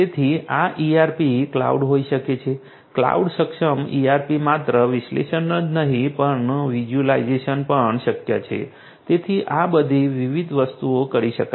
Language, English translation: Gujarati, So, this could be ERP cloud, cloud enabled ERP not only just analysis, but also visualization is also possible so, all of these different things can be done